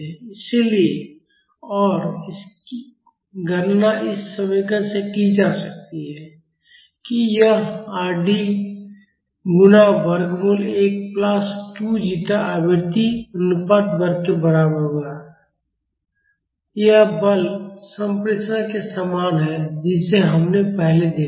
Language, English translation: Hindi, So, and that can be calculated as from this expression it would be equal to Rd times square root of one plus 2 zeta frequency ratio square, this is similar to the force transmissibility which we have seen earlier